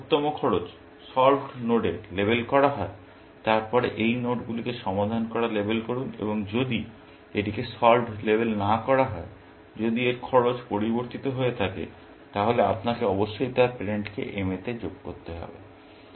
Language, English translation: Bengali, If the best cost leads to label to solved nodes, then label these nodes solved, and if either, it is not labeled solved or if its cost has changed, you must add its parents to m